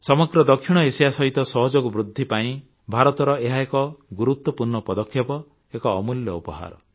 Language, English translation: Odia, It is an important step by India to enhance cooperation with the entire South Asia… it is an invaluable gift